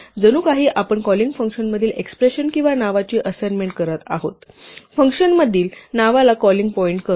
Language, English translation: Marathi, It is as though we are making an assignment of the expression or the name in the calling function, calling point to the name in the function